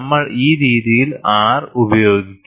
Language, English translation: Malayalam, So, we will see, what is R